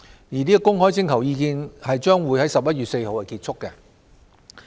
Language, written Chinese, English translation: Cantonese, 而公開徵求意見將於11月4日結束。, The public consultation will close on 4 November 2018